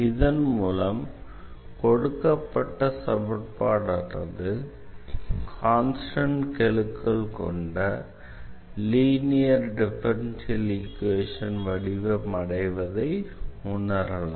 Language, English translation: Tamil, So, so far we have learnt linear differential equations with constant coefficients